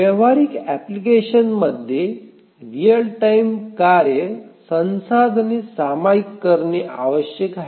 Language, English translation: Marathi, In a practical application, the real time tasks need to share resources